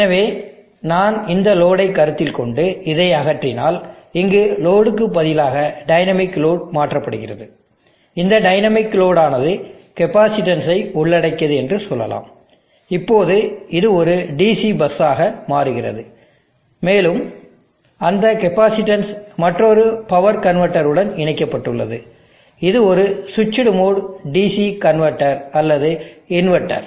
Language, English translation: Tamil, So if I consider this load and remove this replace the load with dynamic this load with the dynamic load consisting of let us say capacitance, now this becomes a DC bus, and that capacitance is connected to another power convertor, it could be a switched mode DC DC convertor or an inverter